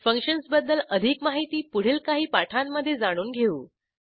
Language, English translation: Marathi, We will discuss about functions in detail, in later tutorials